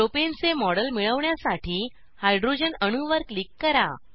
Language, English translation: Marathi, Click on the hydrogen atom to get a model of Propane